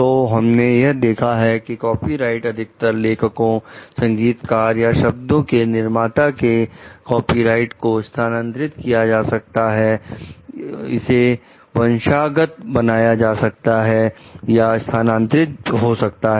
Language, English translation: Hindi, So, what we find copyright is most commonly held by authors composers, or publisher of a word it, the copyright may be transferred it may be inherited or it may be transferred